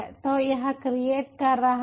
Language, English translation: Hindi, so it is creating